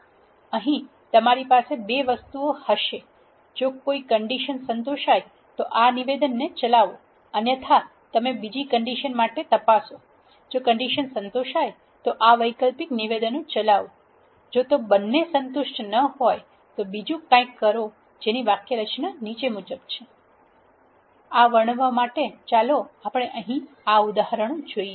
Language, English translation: Gujarati, So, here you will have 2 things if a condition is satisfied execute this statement; else if you check for another condition if that condition is satisfied execute this alternate statements, if both of them are not satisfied then do something else so the syntax is as follows; to illustrate this if let us consider this example here